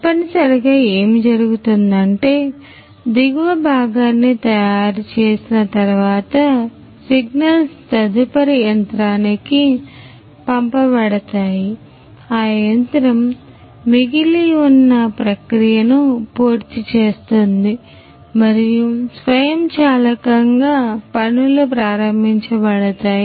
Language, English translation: Telugu, So, essentially what happens is that when the bottom part is made after that the signals are sent to the next machine which will take the process over and automatically things are going to be started